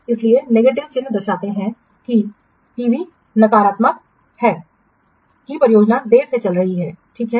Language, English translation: Hindi, So negative symbol indicates that TV negative indicates the project is running late